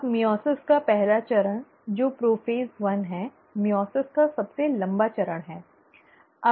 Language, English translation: Hindi, Now the first step of meiosis one which is prophase one is the longest phase of meiosis